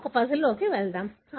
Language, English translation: Telugu, So, let us look into a puzzle